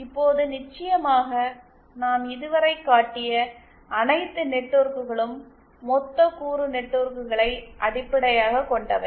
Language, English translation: Tamil, Now of course all the networks that we have showed so far are based on lumped element networks